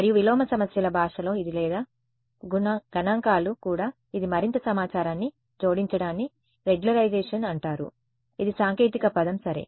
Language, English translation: Telugu, And in the language of inverse problems this or even statistics this adding more information is called regularization that is the technical word for it ok